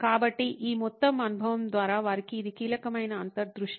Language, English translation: Telugu, So, this was a key insight for them through this whole experience